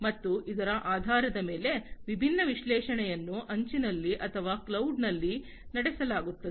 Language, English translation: Kannada, And based on this, the different analytics are performed, either at the edge or at the cloud